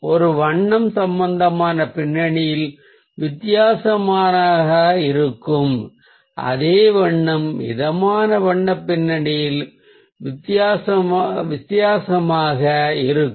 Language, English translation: Tamil, so ah a colour will look different in ah a cool background, whereas the same colour may look ah different in a warm colour background